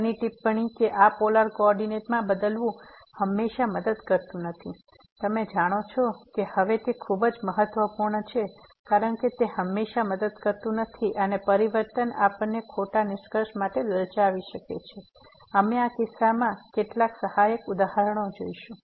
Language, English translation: Gujarati, The next remark that changing to this polar coordinate does not always helps, you know this is very important now that it does not always help and the transformation may tempt us to false conclusion we will see some supporting example in this case